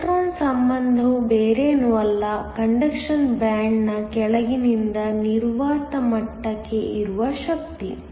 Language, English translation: Kannada, Electron affinity is nothing but, the energy from the bottom of the conduction band to the vacuum level